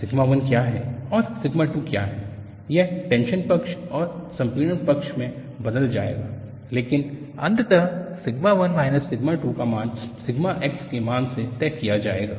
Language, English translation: Hindi, What is sigma 1 and what is sigma 2 will change in the tension side and compression side, but eventually, the value of sigma 1 minus sigma 2 will be dictated by the value of sigma x